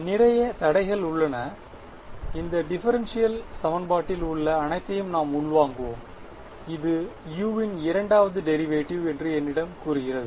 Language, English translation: Tamil, Lots of constraints are there, we will absorb all of those into this differential equation, which tells me that second derivative of u